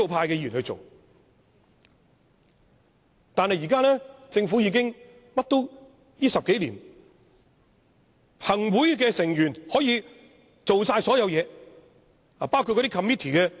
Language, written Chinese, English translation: Cantonese, 然而，現時的政府已經......在這10多年，行政會議的成員可以做任何事情，包括 Committee Chairman。, However the current Government has over the past decade Members of the Executive Council could do whatever they wish including taking over the chairmanship of committees